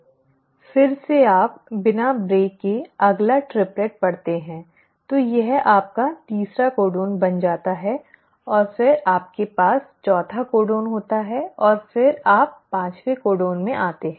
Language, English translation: Hindi, Then again you read the next triplet without the break, so this becomes your third codon and then you have the fourth codon and then you come to the fifth codon